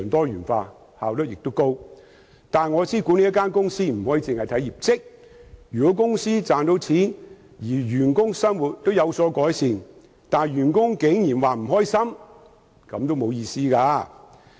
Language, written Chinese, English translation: Cantonese, 不過，我知道不能只着重一間公司的業績，如果公司賺到錢，員工生活也有改善，但員工竟然覺得不開心，便毫無意義。, However I know that I cannot focus on the performance of a company alone . If the company makes money and the livelihood of the employees has improved but the employees are very unhappy it will be meaningless